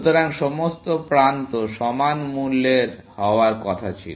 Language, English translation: Bengali, So, all edges were supposed to be of equal cost